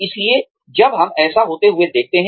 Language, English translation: Hindi, So, when, we see this happening